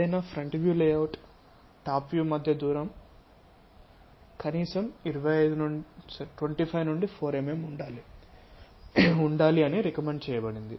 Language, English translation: Telugu, And it is recommended that the distance between any front view layout to top view should be minimum of 25 to 4 mm